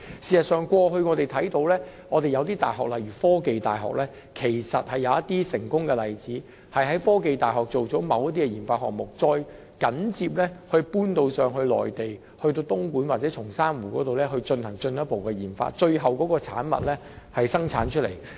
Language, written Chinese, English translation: Cantonese, 事實上，過去我們看見一些大學，例如科技大學也有一些成功的例子，也就是在科技大學進行某些研發項目，然後再轉到內地，例如在東莞或松山湖進行進一步的研發，最後生產有關的產品。, In fact we also saw some universities doing this in the past . For instance the Hong Kong University of Science and Technology HKUST had some successful examples in which certain RD projects initially carried out at HKUST were subsequently transferred to the Mainland such as Dongguan or Songshan Lake for further RD input and production of the end - products